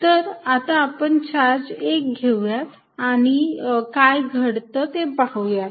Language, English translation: Marathi, So, let us take the charge 1 and see what happens